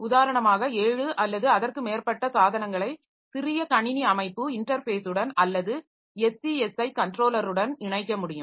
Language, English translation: Tamil, For instance, can have seven or more devices attached to the small computer systems interface or SCSI controller